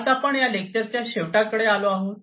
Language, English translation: Marathi, So, with this we come to an end of this lecture